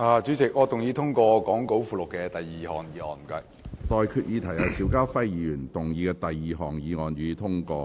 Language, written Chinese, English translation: Cantonese, 我現在向各位提出的待議議題是：邵家輝議員動議的第二項議案，予以通過。, I now propose the question to you and that is That the second motion moved by Mr SHIU Ka - fai be passed